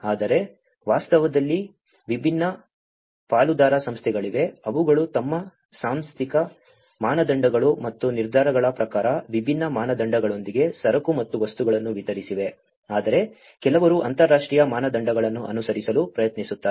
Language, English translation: Kannada, But in reality, there are different partner organizations, which has distributed the goods and materials with different standards, as per their institutional standards and decisions, while some try to follow the international standards